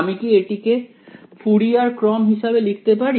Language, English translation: Bengali, Can I write it as the Fourier series